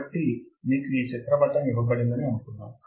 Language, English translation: Telugu, So, suppose you are given this figure